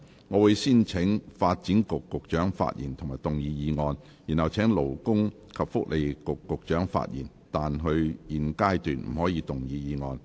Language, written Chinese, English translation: Cantonese, 我會先請發展局局長發言及動議議案；然後請勞工及福利局局長發言，但他在現階段不可動議議案。, I will first call upon the Secretary for Development to speak and move his motion . Then I will call upon the Secretary for Labour and Welfare to speak but he may not move his motion at this stage